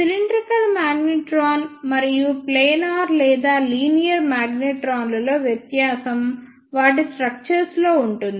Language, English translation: Telugu, The difference in the cylindrical magnetron and planar or linear magnetron is of their structure